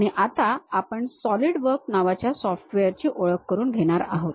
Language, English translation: Marathi, And now, we are going to introduce about a software, mainly named solidworks